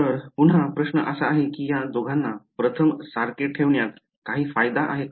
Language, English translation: Marathi, So again so, question is that is there any advantage of keeping these two the same so first